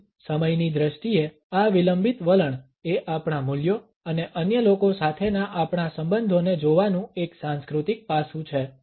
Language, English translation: Gujarati, So, this laid back attitude in terms of time is a cultural aspect of looking at our values and our relationships with other people